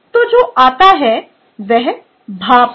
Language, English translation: Hindi, clear, so what comes out is steam